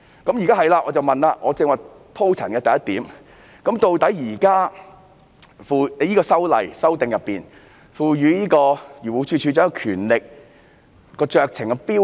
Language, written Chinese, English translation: Cantonese, 我現在想問，就我剛才鋪陳的第一點，究竟《條例草案》賦予漁護署署長怎樣的酌情標準？, My question now is with regard to the first point I have just discussed what is the extent of discretion DAFC is empowered under the Bill?